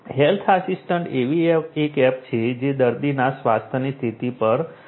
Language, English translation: Gujarati, Health assistant is one such app which keeps track of health condition of the patient